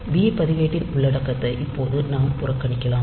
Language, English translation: Tamil, So, we can ignore the content of b register now